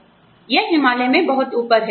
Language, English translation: Hindi, It is a, you know, it is very high up in the Himalayas